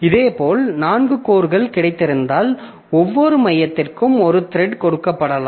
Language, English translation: Tamil, Similarly, if I have got four cores, then the one thread can be given to each core